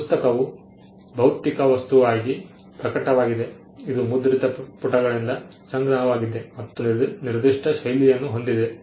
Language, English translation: Kannada, The book also manifests as a physical object, a collection of printed pages which is bounded in a particular fashion